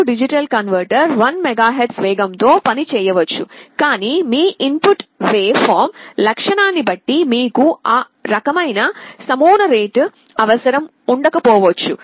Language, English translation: Telugu, The A/D converter may be working at 1 MHz speed, but you may not be requiring that kind of a sampling rate depending on your input waveform characteristic